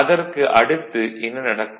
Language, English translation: Tamil, After that what will happen